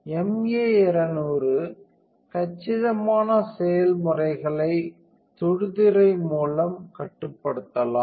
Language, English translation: Tamil, The processes of the MA 200 compact can be controlled via touch screen